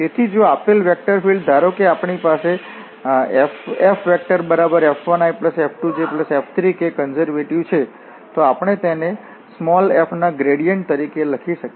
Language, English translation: Gujarati, So, if the given vector field suppose we have F 1 F 2 and F 3 is conservative, then we can write down this as a gradient of f